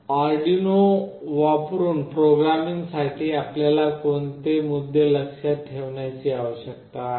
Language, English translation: Marathi, What are the points that you need to remember for programming using Arduino